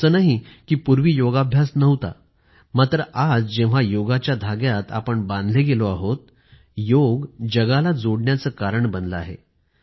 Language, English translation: Marathi, It isn't as if Yoga didn't exist before, but now the threads of Yoga have bound everyone together, and have become the means to unite the world